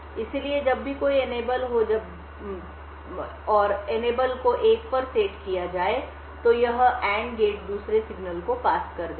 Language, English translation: Hindi, So, whenever there is an Enable that is whenever the Enable is set to 1, this AND gate would pass the other signal through